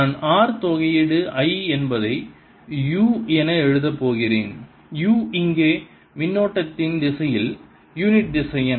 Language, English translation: Tamil, i am going to write as r, integration, i is there u, where u is the unit vector in the direction of the current